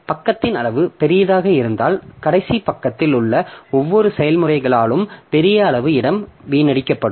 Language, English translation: Tamil, So if a page size is large then large amount of space will be wasted by each of the processes in the last page